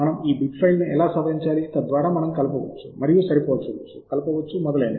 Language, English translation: Telugu, and how do we edit these bib files so that we can mix and match, combine, etc